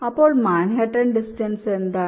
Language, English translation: Malayalam, so what is manhattan distance